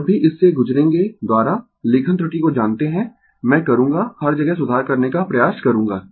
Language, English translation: Hindi, When we will go through it by, you know writing error, I will I try to rectify everywhere